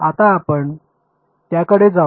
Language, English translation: Marathi, Now, let us come to that